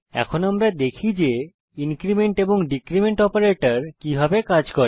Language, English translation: Bengali, Here, we have the code for increment and decrement operators in C